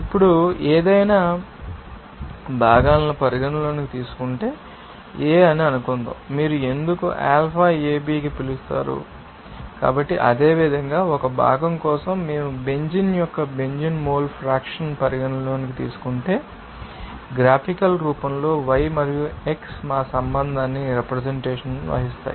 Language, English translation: Telugu, Now, if we consider any components, then we can say that suppose A so, why you will be called to alphaAB you know that So, similarly for a cam component we can represent these you know that y and x our relationship in a graphical form like in that case suppose, if we consider that benzene now mole fraction of benzene in the liquid can be represented as x and mole fraction of benzene in refer as y